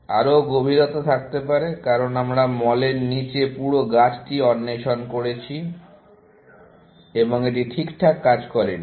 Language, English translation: Bengali, There could be a greater depth, because we have explored the entire tree below mall, and it did not work